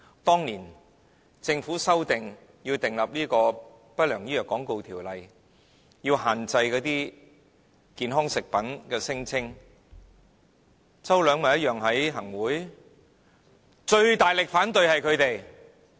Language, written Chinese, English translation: Cantonese, 當年政府要定立《不良廣告條例》，要限制健康食品的聲稱時，周梁淑怡一樣在行政會議裏，但最大力反對的便是他們。, This is just one of the many examples . I do not wish to cite more . Years ago when the Government was trying to enact the Undesirable Medical Advertisements Ordinance to regulate the claims of health foods Mrs Selina CHOW strongly opposed the legislation in the Executive Council on behalf of these people